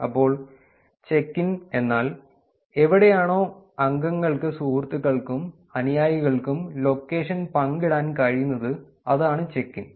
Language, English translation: Malayalam, So, check in is, the, where members can share the location with friends and followers through check ins, that is the check in